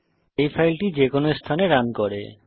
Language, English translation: Bengali, This file can run anywhere